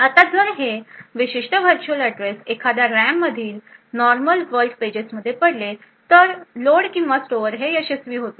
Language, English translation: Marathi, Now if this particular virtual address falls in one of this normal world pages in the RAM then the load or store will be successful